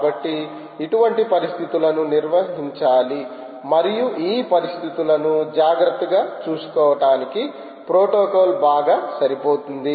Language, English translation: Telugu, so such situations have to be handled and the protocol is well suited for taking care of these situation